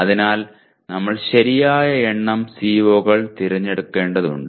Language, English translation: Malayalam, So we need to select the right number of COs